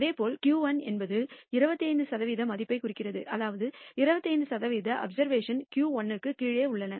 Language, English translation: Tamil, Similarly, Q 1 represents the 25 percent value which means 25 percent of the observations fall below Q 1